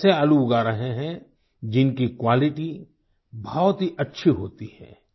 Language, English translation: Hindi, He is growing potatoes that are of very high quality